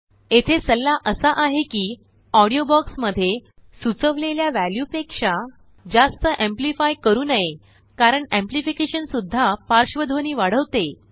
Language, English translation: Marathi, It is advisable not to amplify the audio too much above the recommended value in the box because amplification also enhances background sounds